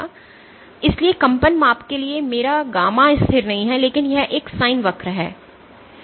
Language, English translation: Hindi, So, for oscillatory measurements my gamma is not constant, but it is a sin curve